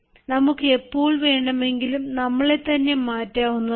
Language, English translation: Malayalam, we can always change ourselves